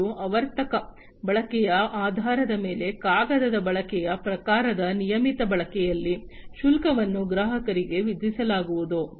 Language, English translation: Kannada, And on a regular use on a paper use kind of basis, based on the periodic usage, the fees are going to be charged to the customer